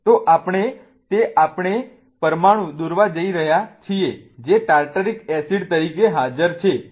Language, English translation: Gujarati, So, what we are going to do is we are going to draw the molecule that is present as tartaric acid